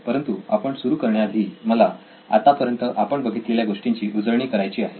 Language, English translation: Marathi, But before we begin on the test phase, I would like to recap what we have covered so far